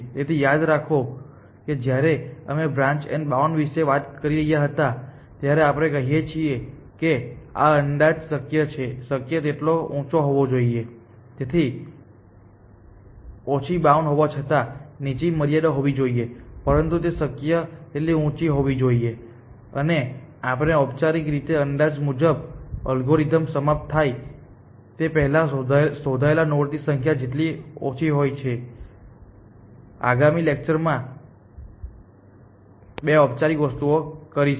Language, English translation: Gujarati, So, remember that when we were talking about branch and bound we say that this estimate must be as high as possible, it must be a lower bound even this is a lower bound, but it must be as high as possible, and we will formally show that the higher the estimate the lesser the number of nodes that this algorithm will search before termination essentially, we will do that these two formal things in the next class